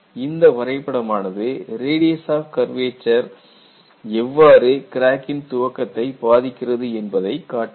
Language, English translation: Tamil, And this graph shows, how does the radius of curvature acts as an influence